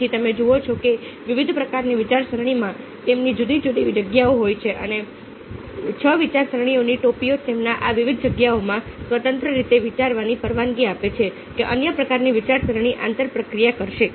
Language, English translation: Gujarati, so you see that different kinds of thinking have the different spaces, and six thinking had permit or you to think in these different spaces independently, without fearing that the other kind of thinking will interpose